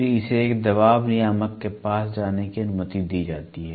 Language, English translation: Hindi, Then this is allowed to go to a pressure regulator